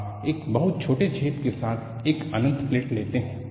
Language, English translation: Hindi, You take an infinite plate with a very small hole